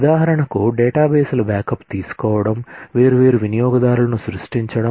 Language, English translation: Telugu, For example, taking backups of databases, for example, creating different users